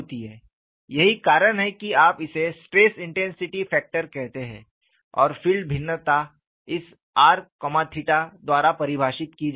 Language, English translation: Hindi, So, the strength of the field is dictated by this; that is why you call this as a stress intensity factor and a field variation is defined by this (r, theta)